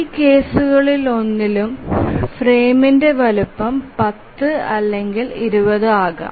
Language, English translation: Malayalam, So in none of these cases, so the frame size can be either 10 or 20